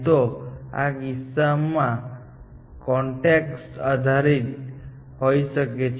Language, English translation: Gujarati, In this case, it could be context dependent